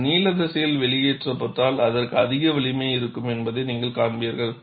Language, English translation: Tamil, If it is extruded along the length direction, you will find it will have more strength